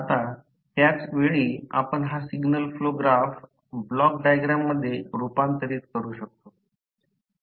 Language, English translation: Marathi, Now, at the same time you can transform this signal flow graph into block diagram